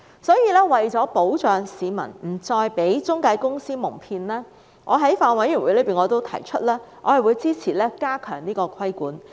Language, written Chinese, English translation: Cantonese, 所以，為了保障市民不再被中介公司蒙騙，我在法案委員會上表示我會支持加強規管。, Thus I indicated at the Bills Committee that I supported tightening the regulations to protect the public from being cheated by intermediaries